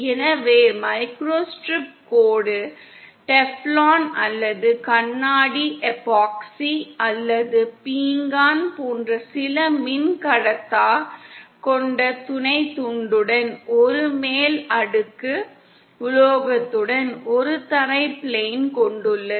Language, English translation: Tamil, So the microstrip line consist of a ground plane with a top layer metal with a sub strip comprising of some Dielectric like Teflon or glass epoxy or ceramic in between